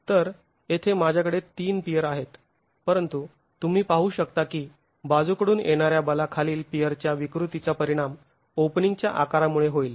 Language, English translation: Marathi, So, I have three piers here but you can see that the deformation of the pier under lateral forces is going to be affected by the size of the openings